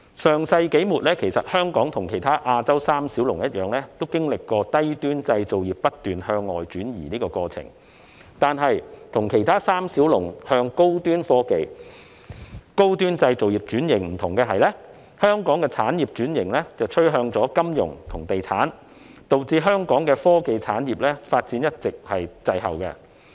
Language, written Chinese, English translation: Cantonese, 上世紀末，香港和其他亞洲三小龍一樣，經歷了低端製造業不斷向外轉移的過程，但是，不同於其他三小龍向高端科技製造業轉型，香港的產業轉型趨向金融和地產，導致香港的科技產業發展一直滯後。, During the latter part of the last century Hong Kong and the other three Asian dragons similarly experienced a constant exodus of low - end manufacturing industries . But different from the other three dragons which underwent restructuring towards high - end technology industries Hong Kong restructured its industries to focus on finance and real estate thus resulting in the lagged development of our technology industries